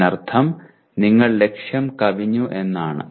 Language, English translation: Malayalam, That means you have exceeded the target